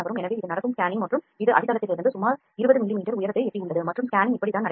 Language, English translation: Tamil, So, this is the scanning it has happening and it has reached up to around 20 mm height from the base and this is how the scanning is happening